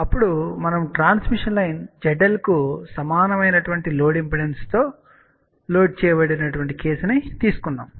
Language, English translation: Telugu, Then we have taken a case where a transmission line is loaded with the load impedance which is equal to Z L